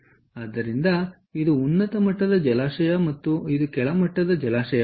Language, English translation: Kannada, so this is the high level reservoir and this is the low level reservoir